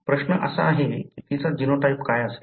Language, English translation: Marathi, The question is what would be her genotype